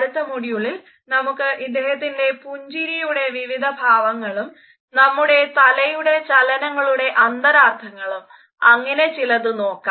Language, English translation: Malayalam, In the next module, we would look at the expressions of his smiles as well as the connotative interpretations of our head notes etcetera